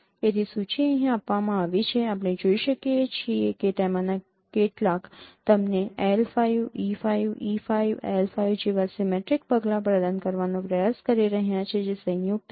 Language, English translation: Gujarati, You can see that some of them are trying to provide you the symmetric measures like L5 E5 L5 they are combined